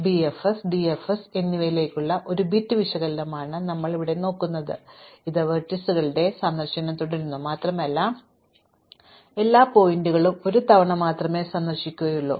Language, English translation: Malayalam, It is a bit analogous to bfs or dfs, because it keeps visit in vertices and it visits every vertex only once